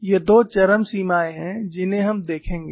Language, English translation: Hindi, These are two extremes that we will look at